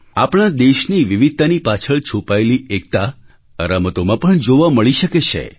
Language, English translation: Gujarati, The unity, intrinsic to our country's diversity can be witnessed in these games